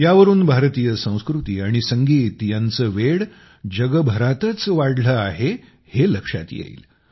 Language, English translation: Marathi, This shows that the craze for Indian culture and music is increasing all over the world